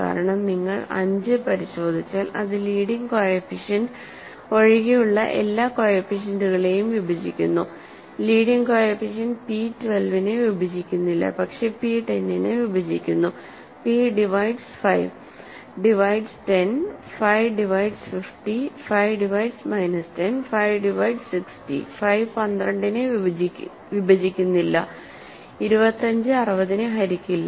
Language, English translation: Malayalam, Because if you check 5 it divides all the coefficients other than the leading coefficients, leading coefficient, right, p does not divide 12, but p divides 10, p divides 5 divides 10, 5 divides 50, 5 divides minus 10, 5 divides 60, 5 does not divide 12 and 25 does not divide 60